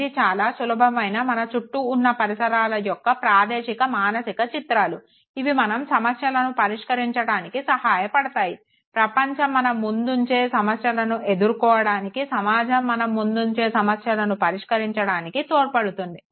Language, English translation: Telugu, It is simple mental images of the spatial environment, which helps us, you know, resolve the problem, the challenges that the world poses before us, the environment poses before us